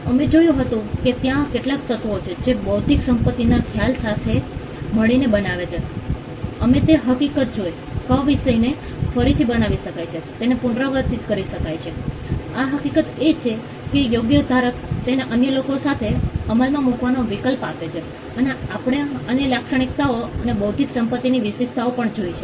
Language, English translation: Gujarati, We had seen that there are certain elements that together constitute the concept of intellectual property right, we saw the fact that the subject matter can be replicated it can be repeated; the fact that the right grants the right holder the option of enforcing it against others and we also saw other characteristics or traits of intellectual property right